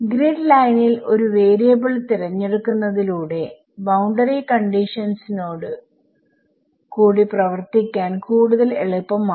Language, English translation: Malayalam, So, by choosing a variable to be at the grid line, it is easier to work with boundary conditions